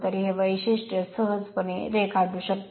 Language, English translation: Marathi, So, this characteristic, you can easily draw